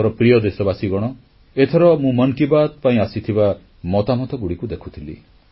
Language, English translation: Odia, I was looking into the suggestions received for "Mann Ki Baat"